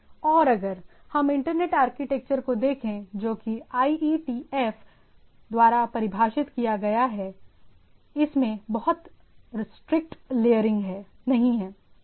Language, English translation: Hindi, And if we look at the internet architecture which is defined by IETF, what this say does not imply strict layering right